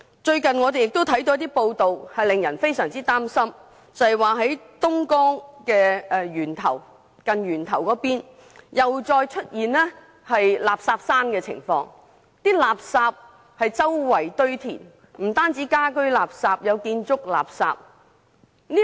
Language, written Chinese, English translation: Cantonese, 最近有些報道令人非常擔心，揭示東江源頭附近又再出現垃圾山問題，垃圾四處堆填，當中不但有家居垃圾，還有建築垃圾。, I hope there will not be any further delay and postponement . There have recently been some very perplexing news reports about the re - emergence of rubbish mounds near the source of Dongjiang River . It is reported that there are rubbish all around not only household waste but also construction waste